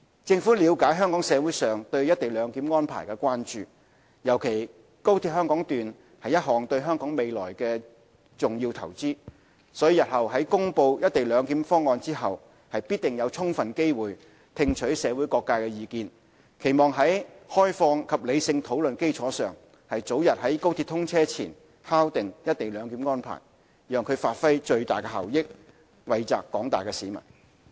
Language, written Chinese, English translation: Cantonese, 政府了解香港社會上對"一地兩檢"安排的關注，尤其高鐵香港段是一項對香港未來的重要投資，所以日後在公布"一地兩檢"方案後，必定有充分機會聽取社會各界的意見，期望在開放及理性討論的基礎上，早日在高鐵通車前敲定"一地兩檢"的安排，讓其發揮最大效益，惠澤廣大市民。, The Government understands the publics concern about the co - location arrangement especially when the XRL is an important investment on Hong Kongs future . Therefore the Government will allow ample opportunities to listen to the views of the public after the proposal for implementing co - location of CIQ facilities is announced . We hope that we can based on open and rational discussion finalize the co - location arrangements as soon as possible before the XRL commences operation so that the XRL can realize the maximum benefits it can bring to the public